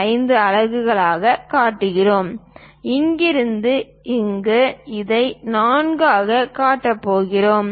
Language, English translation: Tamil, 5 units and from here to here, we are going to show it as 4